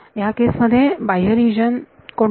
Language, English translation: Marathi, In this case what is the outside region